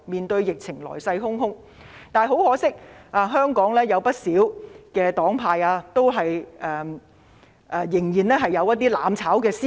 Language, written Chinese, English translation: Cantonese, 但很可惜，香港有不少黨派仍然有"攬炒"思維。, Regrettably many parties in Hong Kong are guided by the mentality of mutual destruction